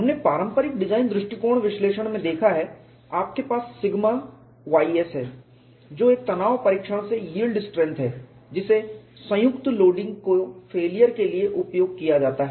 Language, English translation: Hindi, We have seen in conventional design analysis, you have sigma y s which is the yield strength from a tension test is used for failure of combine loading